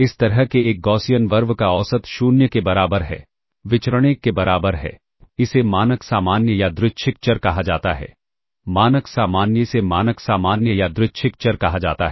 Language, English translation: Hindi, So, this is a Gaussian RV with mean equal to 0 and variance equal to 1, such a Gaussian RV with mean equal to 0 variance equal to 1